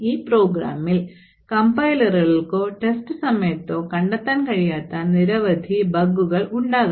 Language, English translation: Malayalam, So, there could be several bugs in a program which do not get detected by the compiler or while testing the program